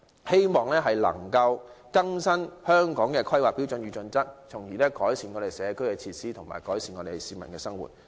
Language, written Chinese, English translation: Cantonese, 希望當局能夠更新《規劃標準》，從而改善社區設施及市民的生活。, I hope the authorities can update HKPSG so as to improve community facilities and the publics living